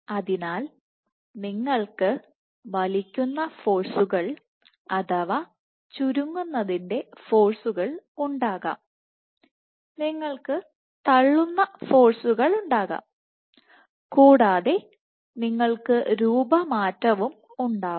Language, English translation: Malayalam, So, you can have pulling forces that is contractile forces, you can have pushing forces pushing forces and you can have remodeling